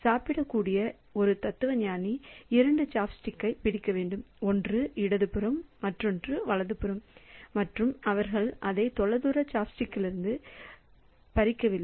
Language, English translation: Tamil, So, one philosopher to be able to eat must grab two chopsticks one on the left side, one on the right side and they are not snatching it from a distant chopstick